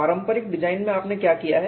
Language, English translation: Hindi, In conventional design what is that you have done